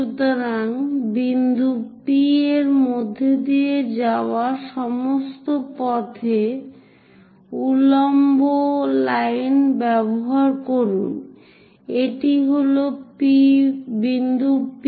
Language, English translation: Bengali, So, use vertical line all the way passing through point P, this is the point P